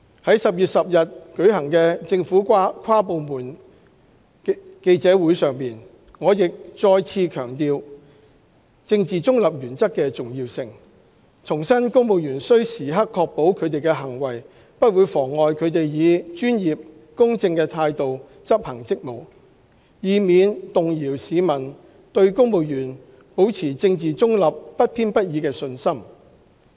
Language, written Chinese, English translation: Cantonese, 在10月10日舉行的政府跨部門記者會上，我亦再次強調政治中立原則的重要性，重申公務員須時刻確保他們的行為不會妨礙他們以專業、公正的態度執行職務，以免動搖市民對公務員保持政治中立、不偏不倚的信心。, At the inter - departmental press conference held on 10 October I have also reiterated the importance of the principle of political neutrality and that civil servants shall at all times ensure that their behaviour would not impede their performance of official duties in a professional and fair manner so as not to undermine public confidence in civil servants remaining politically neutral and impartial